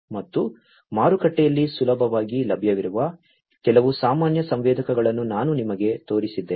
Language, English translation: Kannada, And these are some of these common sensors that I have shown you which are readily available in the market